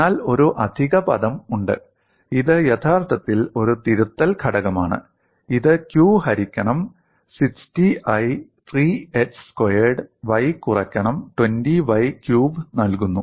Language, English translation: Malayalam, But there is an additional term, which is actually a correction factor, which is given as q by 60I, 3h squared y minus 20y cube